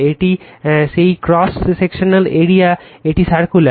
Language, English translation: Bengali, This is that cross sectional area right, this is circular one